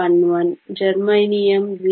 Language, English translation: Kannada, 11, germanium is 0